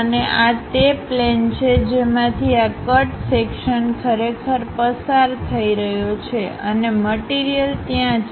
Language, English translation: Gujarati, And this is the plane through which this cut section is really passing through and material is present there